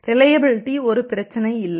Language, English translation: Tamil, The reliability is not a issue there